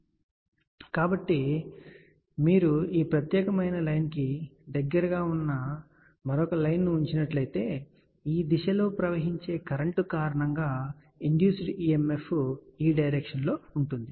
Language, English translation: Telugu, And if you put a another line which is close to this particular line then because of this current flowing in this direction induced emf is in this direction so this becomes coupled port and this is an isolated port